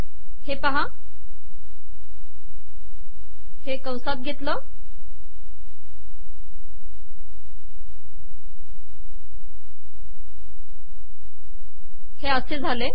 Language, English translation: Marathi, See this here